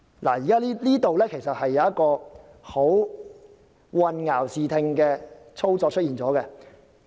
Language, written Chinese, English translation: Cantonese, 這裏其實出現一個混淆視聽的操作。, Here comes the operation which causes confusion